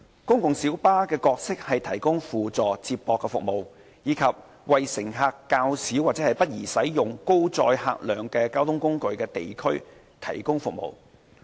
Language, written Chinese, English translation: Cantonese, 公共小巴的角色是提供輔助接駁服務，以及為乘客較少或不宜使用高載客量交通工具的地區提供服務。, The role of PLBs is to provide supplementary feeder services as well as to serve areas with relatively lower passenger demand or where the use of high - capacity transport modes is not suitable